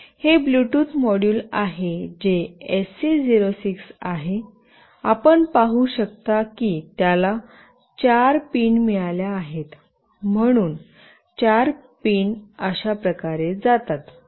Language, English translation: Marathi, This is the Bluetooth module that is HC 06, you can see it has got four pins, so the four pins goes like this